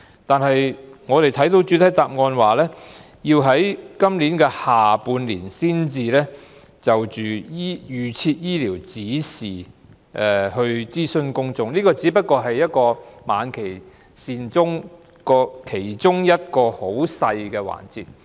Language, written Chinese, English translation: Cantonese, 不過，我們從局長的主體答覆得知，當局須於今年下半年才會就預設醫療指示諮詢公眾，而這亦只是晚期善終服務其中一個很細微的環節。, Yet we learn from the Secretarys main reply that the authorities will only consult the public in the second half of this year on arrangements of ADs and this is only a very minor part of end - of - life hospice care